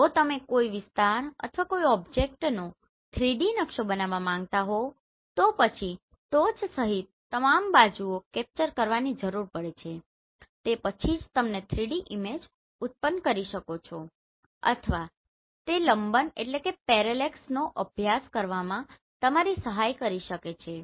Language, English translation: Gujarati, So if you want to generate a 3D map of an area or of an object then we need to capture all the sides including top then only you can generate the 3D images or it can also help you to study the parallax and what do you mean by parallax that we will see